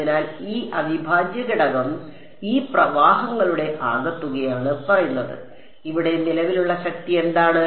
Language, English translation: Malayalam, So, this integral is saying sum over all of these currents what is the current strength over here